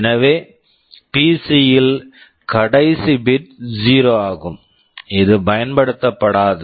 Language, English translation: Tamil, So, in the PC, the last bit is 0 which is not used